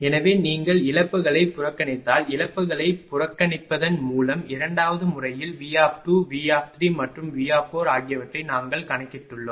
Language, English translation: Tamil, So, if you neglect the losses we have computed V 2, V 3 and V 4 in the second method by neglecting the losses